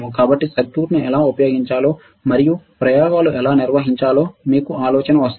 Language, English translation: Telugu, So, that you get the idea of how to use the circuit and how to perform experiments